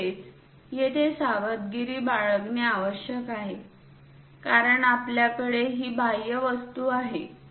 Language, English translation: Marathi, Similarly, one has to be careful here because we have this exterior object